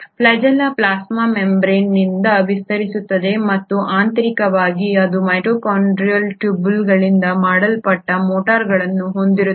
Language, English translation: Kannada, This flagella extends out of the plasma membrane and internally it consists of motors which are made up of microtubules